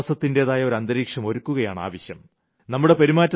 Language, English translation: Malayalam, It is important to build an atmosphere of trust